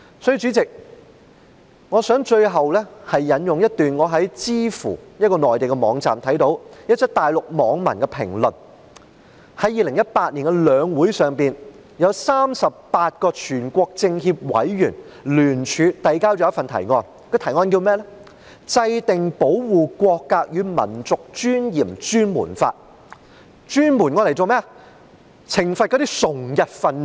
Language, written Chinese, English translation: Cantonese, 在2018年的中華人民共和國全國人民代表大會和中國人民政治協商會議全國委員會會議上，有38位全國政協委員聯署遞交了一份提案，標題為"制定保護國格與民族尊嚴專門法"，專門用來懲罰崇日分子。, During the sessions of the National Peoples Congress and the National Committee of the Chinese Peoples Political Consultative Conference CPPCC in 2018 38 CPPCC members jointly signed a proposal calling on the enactment of a special law to protect national integrity and dignity in a bid to specifically punish people who worship Japan